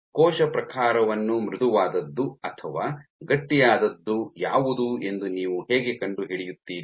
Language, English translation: Kannada, So, how do you find out given a cell type what is something as soft or what is something as stiff